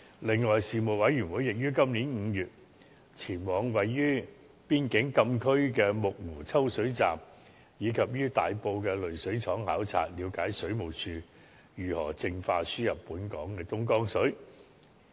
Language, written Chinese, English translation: Cantonese, 此外，事務委員會亦於今年5月，前往位於邊境禁區的木湖抽水站及於大埔的濾水廠考察，了解水務署如何淨化輸入本港的東江水。, Moreover the Panel also conducted a visit to the Muk Wu Raw Water Pumping Station and Tai Po Water Treatment Works in May 2017 to better understand how the Water Supplies Department provided water treatment on the Dongjiang water imported to Hong Kong